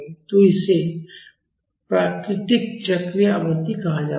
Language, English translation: Hindi, So, this is called as natural cyclic frequency